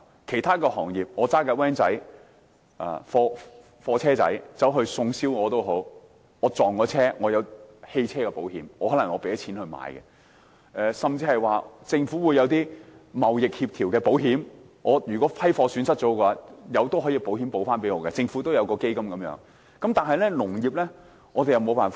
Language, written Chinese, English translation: Cantonese, 其他行業，例如小型貨車司機送燒鵝，一旦撞車，有汽車保險賠償，雖然保險費得自付；政府也提供一些貿易相關保險，遇上貨物損失，可透過政府基金取得保險賠償。, In the cases of other industries like the driver of a goods van he may claim compensation under his car insurance if a car crash occurs during the delivery of BBQ ducks though the driver is responsible for the insurance premium . The Government has provided insurance arrangement for certain trades so that in the event of loss of goods they may obtain insurance compensation from the fund set up by the Government